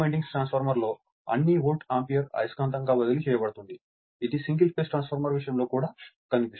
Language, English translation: Telugu, In a two winding transformer, all Volt ampere is transferred magnetically that also you have seen for single phase transformer